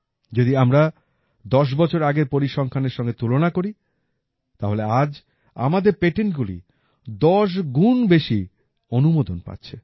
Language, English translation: Bengali, If compared with the figures of 10 years ago… today, our patents are getting 10 times more approvals